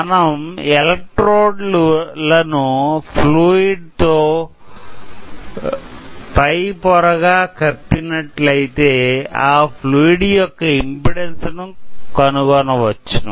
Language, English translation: Telugu, So, if we place a fluid over here, this fluid will cover the electrodes and we can measure the impedance of the fluid place here